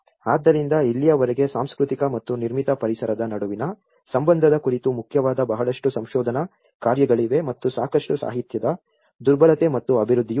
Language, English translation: Kannada, So till now, there are main lot of research works on cultural and the relation between built environment and there is also a lot of literature vulnerability and the development